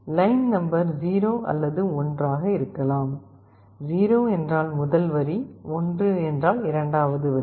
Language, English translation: Tamil, Line number can be either 0 or 1, 0 means the first line, 1 means the second line